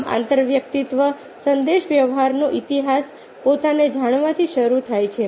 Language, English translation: Gujarati, thus the history of intrapersonal communication begins with knowing ourselves